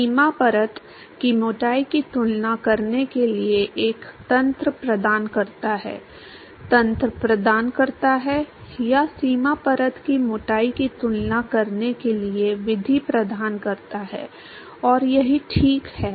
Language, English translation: Hindi, So, this also gives you; provides a mechanism to compare the boundary layer thickness, provides the provide the mechanism or provides the method to compare the boundary layer thicknesses, and same here right